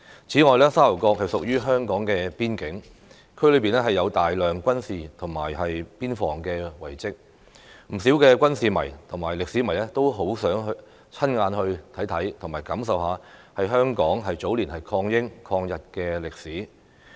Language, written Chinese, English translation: Cantonese, 此外，沙頭角屬於香港邊境，區內有大量軍事及邊防遺蹟，不少軍事迷和歷史迷都十分希望親眼看看和親身感受香港早年抗英、抗日的歷史。, Its geographical location is exceptionally favourable . Moreover as a frontier area of Hong Kong Sha Tau Kok has a large number of military and border security remains . Many military enthusiasts and history lovers are eager to see and experience for themselves the history about Hong Kongs resistance against the British and the Japanese in the early years